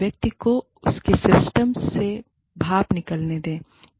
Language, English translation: Hindi, Let the person, get the steam out, of his or her system